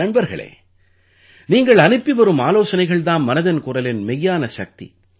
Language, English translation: Tamil, Friends, suggestions received from you are the real strength of 'Mann Ki Baat'